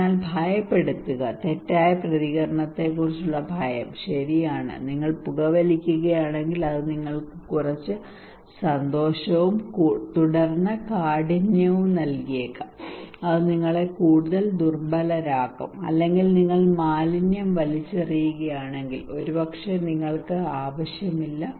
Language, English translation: Malayalam, So fear appeal, the fears of maladaptive response okay like if you are smoking that may gives you some pleasure and then severity it can also have some kind of vulnerability making you more vulnerable, or maybe if you are throwing garbage, maybe you do not need to go to distance place you can just do it at your close to your house